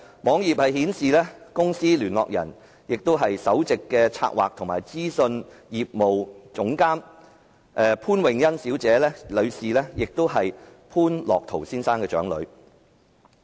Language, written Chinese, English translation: Cantonese, 網頁顯示，該公司的聯絡人為其首席企策及資訊業務總監潘穎欣，是潘樂陶先生的長女。, From the web page we learn that the contact person of the company is Ms Karen POON Chief Executive Corporate Strategy IT Business of the company and Ms POON is the eldest daughter of Mr Otto POON